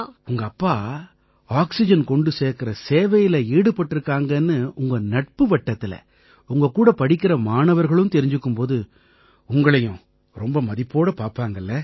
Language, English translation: Tamil, When your friend circle, your fellow students learn that your father is engaged in oxygen service, they must be looking at you with great respect